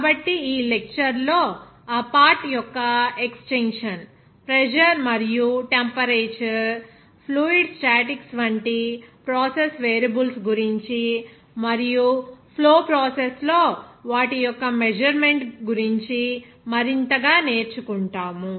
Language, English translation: Telugu, So, in this lecture, extension of that part will something more about that process variables like pressure and temperature, fluid statics and their measurement in flow processes, we will try to learn something about this